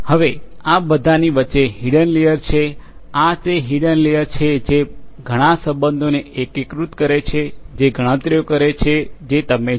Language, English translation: Gujarati, Now, in between are all these hidden layers, these are the hidden layers where lot of you know integrate relationships are there which does these computations